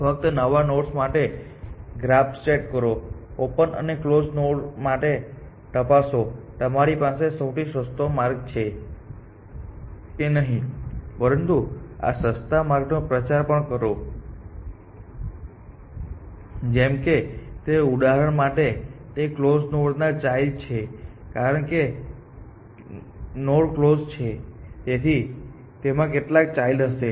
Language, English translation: Gujarati, For new nodes just set up the graph for nodes are opened check if you have found the cheaper path; for nodes on closed also check whether you have find found cheaper paths, but also propagate the cheaper path like that example to it is the children of the closed node, because the node is on closed it will have some children